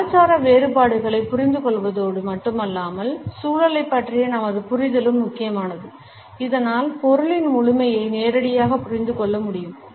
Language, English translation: Tamil, In addition to understanding the cultural differences our understanding of the context is also important so that the totality of the meaning can be directly understood